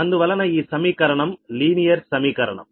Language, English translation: Telugu, so this equation, this is a linear, linear equation, right